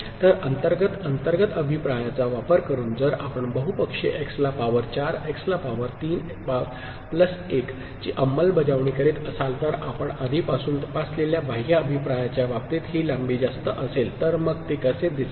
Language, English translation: Marathi, So, internal using internal feedback if we are implementing the polynomial x to the power 4, x to the power 3 plus 1 which was maximal length in case of the external feedback which you have already investigated, so then how it would look like